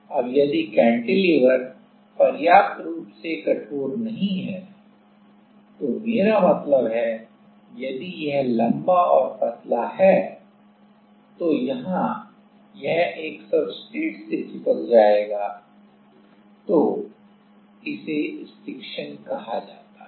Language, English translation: Hindi, Now, if the cantilever is not stubby enough I mean, if it is long and thin then there is a chance that it will stick to the substrate; it will get stuck to the substrate